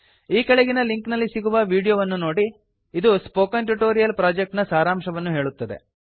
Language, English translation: Kannada, Watch the video available at the following link it summarises the Spoken Tutorial project